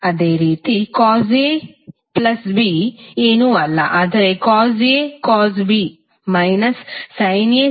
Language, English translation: Kannada, Similarly, cos A plus B is nothing but cos A cos B minus sin A sin B